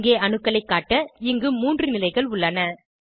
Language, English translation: Tamil, Here we have 3 positions to display atoms